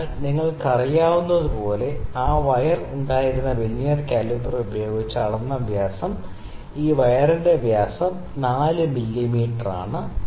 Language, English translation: Malayalam, So, as you know we had that wire, the dia of which we measured using venire caliper this wire the dia of the wire is 4 mm